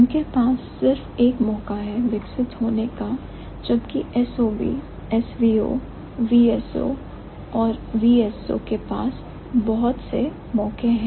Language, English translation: Hindi, Whereas the other ones, SOV, S O, V S V O, V S O and V S O, they have multiple chances